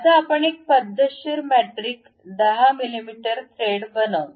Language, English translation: Marathi, Now, we will construct a systematic metric 10 mm thread